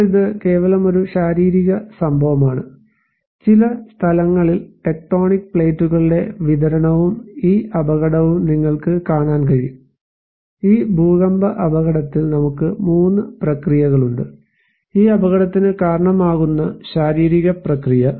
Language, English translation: Malayalam, Now, this is just simply a physical event, this is you can see some of the distribution of the tectonic plates in some places and this hazard; this earthquake hazard, we have 3 processes; physical process that can trigger this hazard